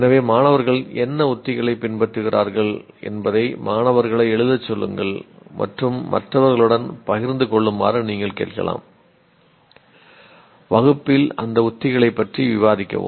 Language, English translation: Tamil, So you can ask the students to pen down what strategy are they following and share it with others, discuss those strategies in class